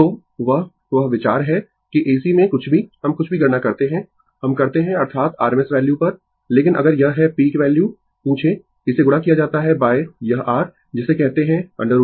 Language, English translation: Hindi, So, that that is the idea that in AC AC AC anything we calculation anything we do that is on rms value, but if it is ask the peak value, it will be multiplied by this your what you call root 2 right